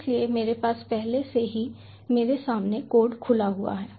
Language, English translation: Hindi, so i have already has the code open end in front of me, right as you can see